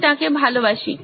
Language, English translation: Bengali, I love him